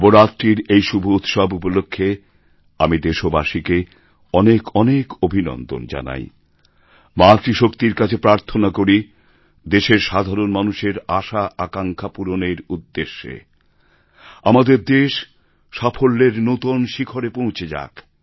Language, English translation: Bengali, On this pious occasion of Navratri, I convey my best wishes to our countrymen and pray to Ma Shakti to let our country attain newer heights so that the desires and expectations of all our countrymen get fulfilled